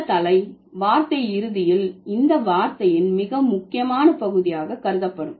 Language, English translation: Tamil, So, this head word would eventually be considered as the most important part of the word